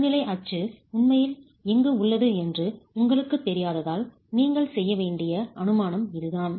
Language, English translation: Tamil, This is the assumption that you will have to make because you don't know where the neutral axis is actually lying